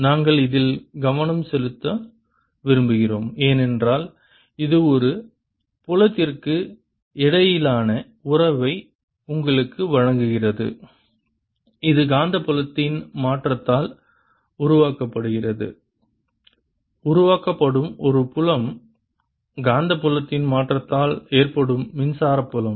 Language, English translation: Tamil, we want to focus on this because this gives you a relationship between of field which is generated due to change in magnetic fields, of field which is due to is generated is the electric field due to change in magnetic field